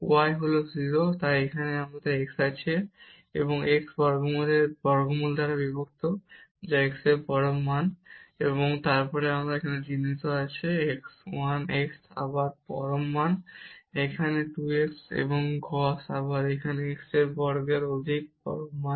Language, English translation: Bengali, The y is 0, now, so we have here x and divided by the square root of x square which is absolute value of x, and then we have this sign here, 1 over again absolute value of x plus; this 2 x and the cos again this here 1 over square more absolute value of x